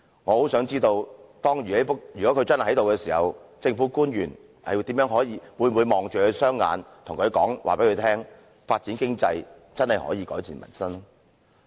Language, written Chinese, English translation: Cantonese, 我很想知道如果他真的在席時，政府官員會否直視他的雙眼，告訴他發展經濟真的可以改善民生？, I very much wish to know if he is really here whether the Public Officer can look straight at his eyes and say to him that developing the economy can truly improve his livelihood